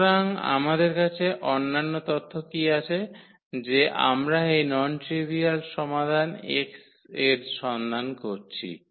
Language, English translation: Bengali, So, what is other information we have that we are looking for this non trivial solution x